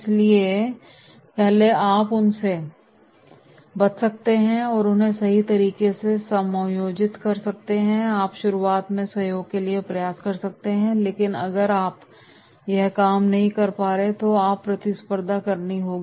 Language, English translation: Hindi, So first you can avoid them, and can accommodate them right, you can try for collaboration in the beginning but if it is not working then you have to compete